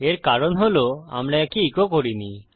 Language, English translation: Bengali, The reason is that we havent echoed this out